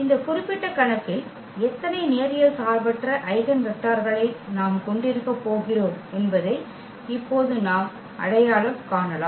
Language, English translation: Tamil, And then and now we can identify that how many linearly independent eigenvectors we are going to have in this particular case